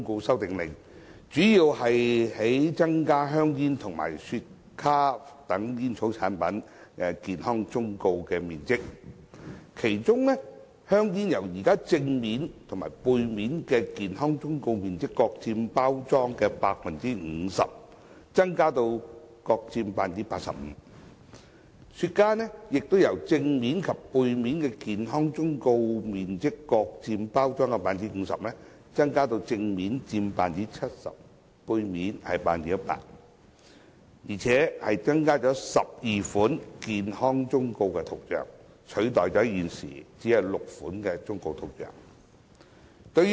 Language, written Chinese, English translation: Cantonese, 《修訂令》主要旨在增加香煙和雪茄等煙草產品的健康忠告面積，其中香煙正面及背面的健康忠告面積由現時各佔包裝的 50%， 增加至各佔 85%； 雪茄的正面及背面的健康忠告面積亦由各佔包裝的 50%， 增加至正面佔 70%， 背面佔 100%， 而且增加12款健康忠告圖像，取代現時只有6款忠告圖像。, The Order seeks mainly to increase the coverage of health warnings on packets of tobacco products such as cigarettes and cigars . The coverage of health warnings on the front and back sides of tobacco packets is increased from the current 50 % to 85 % ; the relevant coverage is increased from the current 50 % to 70 % on the front and 100 % on the back for containers of cigars . Moreover the number of graphic health warnings is increased from 6 to 12